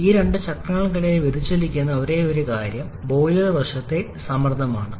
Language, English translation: Malayalam, Only thing that T vary deviates between these two cycles are the pressure on the boiler side